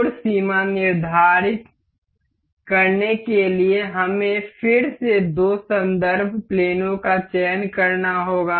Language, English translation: Hindi, To set angle limits, we have to again select two reference planes